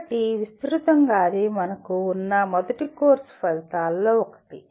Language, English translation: Telugu, So broadly that is the one of the first course outcomes that we have